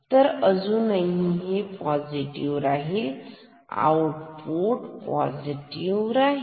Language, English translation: Marathi, So, this can still be positive, so output will remain positive